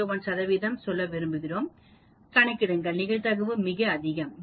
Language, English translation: Tamil, 01 percent, calculate probability, that is very very high